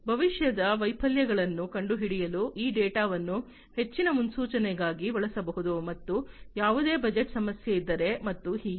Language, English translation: Kannada, And this data can be used for further prediction to predict future failures, and if there is any budget issue and so on